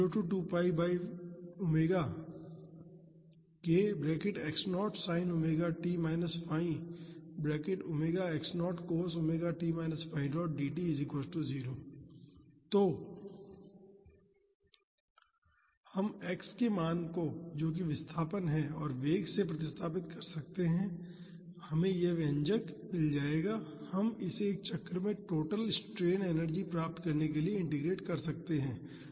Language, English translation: Hindi, So, we can substitute the value of x that is the displacement and the velocity and we will get this expression, we can integrate it to get the total strain energy in one cycle